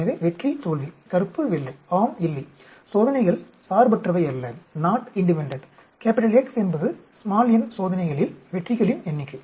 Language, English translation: Tamil, So, success failure, black white, yes no; the trials are not independent, x is the number of successes in the n trials